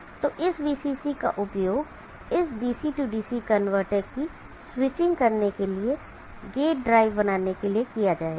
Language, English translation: Hindi, So this VCC will be used for generating the gate drive for switching this DC DC converter